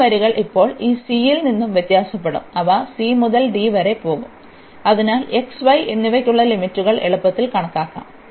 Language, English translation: Malayalam, And such lines now will vary from this c, they will go from c to d, so that is the way we can compute the easily put the limits for x and y